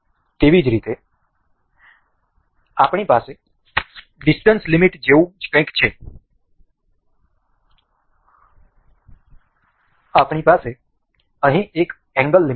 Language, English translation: Gujarati, Similarly, we have similar to the similar to the distance limit, we have here is angular limit